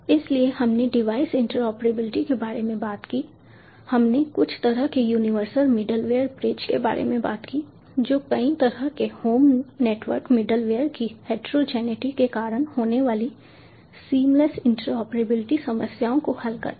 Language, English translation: Hindi, so we talked about in device interoperability, we talked about some kind of a universal middleware bridge which solves seamless interoperability problems caused by heterogeneity of several kinds of home network middleware